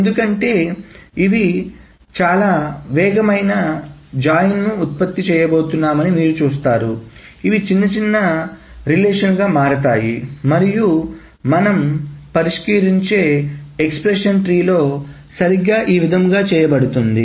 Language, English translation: Telugu, Now why are these rules important because you see that these are going to produce much faster joins these are going to be smaller relations and in the expression trees that we saw this was exactly what being done